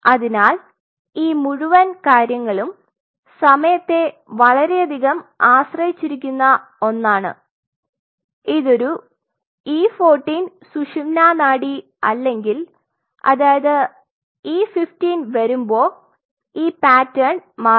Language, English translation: Malayalam, So, this whole thing is a very time dependent one unless this is an E 14 spinal cord you will not see this pattern by E 15 the pattern changes